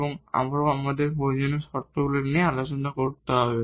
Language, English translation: Bengali, And again then we have to discuss these necessary conditions